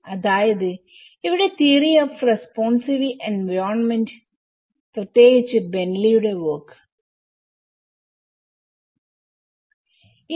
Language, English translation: Malayalam, And here the theory of responsive environments especially the BentleyÃs work